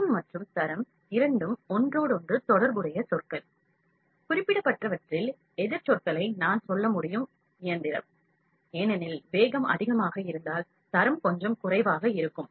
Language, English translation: Tamil, Speed and quality, speed and quality are two interrelated terms, I can say the opposite terms in the specific machine, because if the speed is higher, the quality would be a little lower